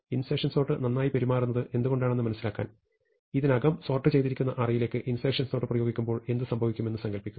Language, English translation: Malayalam, And to think about why insertion sort behaves well, just imagine what happens when we apply insertion sort to an already sorted list